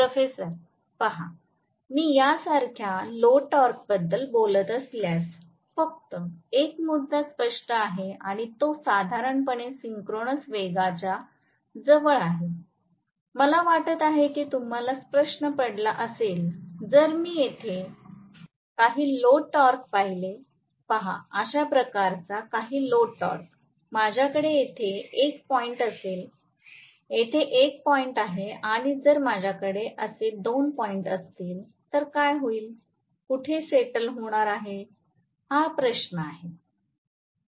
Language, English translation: Marathi, Student: Professor: See, if I am talking about actually a load torque like this there is only 1 point clearly and it will normally settle closer to synchronous speed, I hope you got the question, if I look at any of the load torque here if I look at some load torque like this, I will have 1 point here 1 point here, so if I am having 2 points like this, then what is going to happen, where is going to settle, that is the question